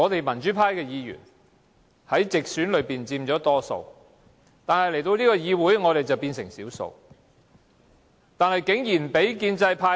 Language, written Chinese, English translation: Cantonese, 民主派議員佔直選議席大多數，但在這個議會，我們變成少數。, Pro - democracy camp Members occupy most directly elected seats in this legislature but we are instead the minority